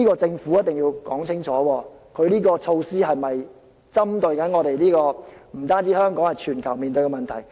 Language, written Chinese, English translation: Cantonese, 政府必須說清楚，這項策施有否針對，不止是香港，更是全球面對的問題。, The Government must clearly explain how this measure addresses this problem which faces not only Hong Kong but also the whole world